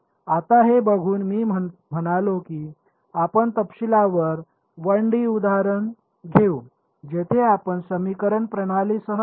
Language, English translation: Marathi, Now, looking at this so, I mean we will take a detailed 1 D example where we will we will come up with the system of equations